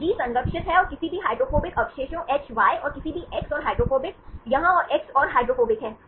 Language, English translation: Hindi, So, G is conserved and any hydrophobic residues is Hy and any x and hydrophobic here and x and hydrophobic